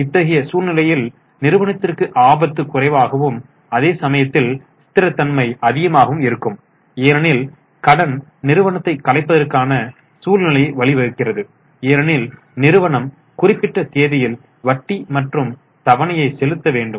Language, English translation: Tamil, In such a scenario, the risk is less, the stability of the company is more because debt leads to possibility of liquidation because firm has to pay interest and installment on certain due debt